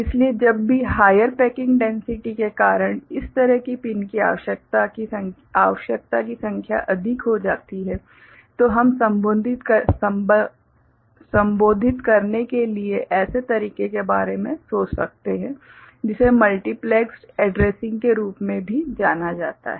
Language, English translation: Hindi, So, whenever the number of such pins requirement becomes high because of higher packing density, we can think of some such way of addressing which is also known as multiplexed addressing